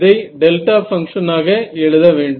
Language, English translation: Tamil, I have to put in the delta function over here ok